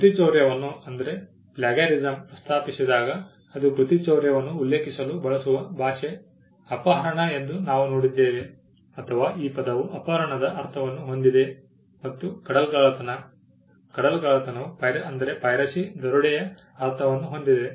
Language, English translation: Kannada, Now, we saw that when plagiarism and piracy was mentioned it was the language used to refer to plagiarism was kidnapping, or the word had a meaning of kidnapping and piracy had the meaning of robbery